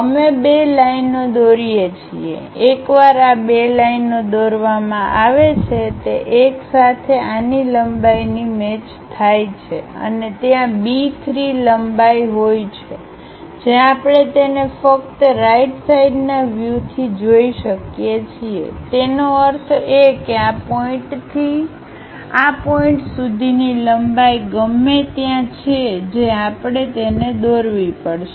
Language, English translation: Gujarati, We draw two lines two lines, once these two lines are drawn one is W length matches with this one and there is a B 3 length, which we can see it only from right side view; that means, from this point to this point the length whatever it is there that we have to draw it